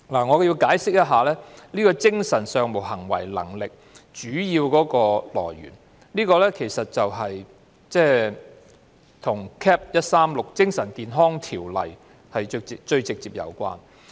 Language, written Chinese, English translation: Cantonese, 我要解釋一下，當初使用"精神上無行為能力"一詞，其實與《精神健康條例》直接有關。, Let me explain briefly . The initial use of the term mental incapacity was in fact directly related to the Mental Health Ordinance Cap . 136